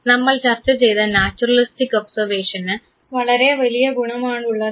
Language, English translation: Malayalam, Naturalistic observation we discussed it has a big advantage